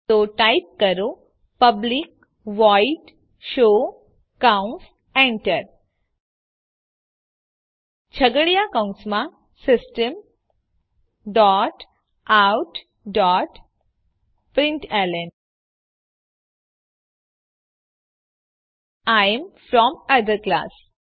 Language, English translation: Gujarati, So type public void show parentheses Enter Inside curly brackets, System dot out dot println I am from other class